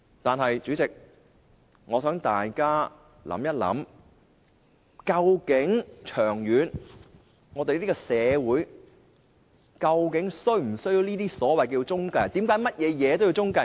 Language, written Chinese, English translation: Cantonese, 但是，代理主席，我想大家想一想，長遠而言，這個社會究竟是否需要這些所謂中介公司？, This can be achieved by the addition of a new Part to the Ordinance . Nevertheless Deputy President may I suggest Members reconsider whether these so - called intermediaries are indispensable in this society long term?